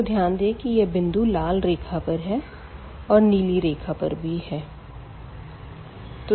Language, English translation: Hindi, So, here clearly this point here lies on the red line and this point also lies on the blue line